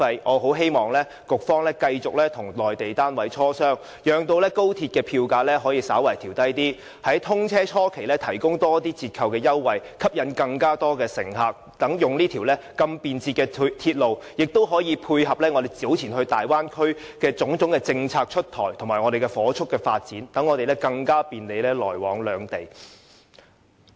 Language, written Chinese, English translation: Cantonese, 我很希望局長繼續與內地單位磋商，讓高鐵票價可以稍為調低，在通車初期提供更多折扣優惠，以吸引更多乘客使用這條如此便捷的鐵路，也可以配合大灣區政策出台與火速發展，好讓我們更便利來往兩地。, I very much hope that the Secretary will keep on negotiating with the Mainland authorities to lower the XRL fare and provide more concessions at the initial stage after the commissioning of XRL so as to attract more passengers to use this convenient rail link . XRL can also tie in with the rapid development of the Bay Area to facilitate the travelling between the two places